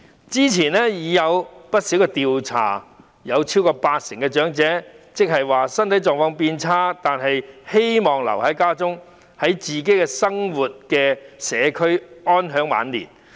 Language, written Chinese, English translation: Cantonese, 之前已有不少調查顯示，超過八成長者即使身體狀況變差也希望留在家中，在自己生活的社區安享晚年。, Many surveys conducted previously indicated that over 80 % of the elderly would like to stay home and age in their own community even if their physical conditions deteriorate